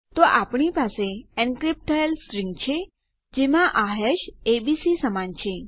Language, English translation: Gujarati, So we have an encrypted string whereby the hash you see here is equal to abc